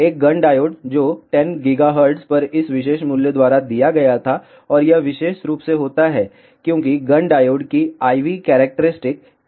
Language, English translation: Hindi, A Gunn diode which had gamma out given by this particular value at 10 gigahertz and this particular thing happens, because i v characteristic of Gunn diode is like this